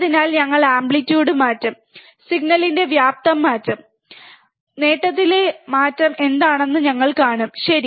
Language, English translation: Malayalam, So, we will just change the amplitude, change the amplitude of the signal, and we will see what is the change in the gain, alright